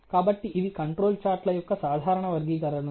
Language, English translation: Telugu, So, these are the typical classification of the control charts